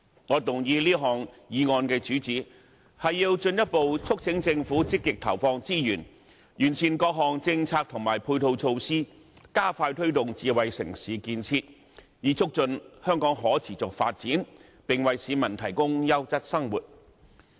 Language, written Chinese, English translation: Cantonese, 我動議此項議案的主旨，是要進一步促請政府積極投放資源，完善各項政策及配套措施，加快推動智慧城市建設，以促進香港的可持續發展，並為市民提供優質生活。, The main purpose of this motion moved by me is to further urge the Government to proactively allocate resources to perfect various policies and ancillary measures and expedite the promotion of smart city development with a view to fostering the sustainable development of Hong Kong and facilitating the people in leading a quality life